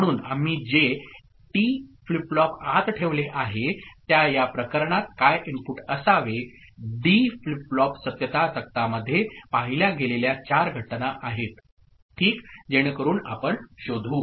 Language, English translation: Marathi, So, inside whatever T flip flop we have put, what should be the input in these cases, four cases that we have seen in the D flip flop truth table ok, so that we figure out